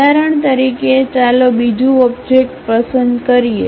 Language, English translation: Gujarati, For example, let us pick another object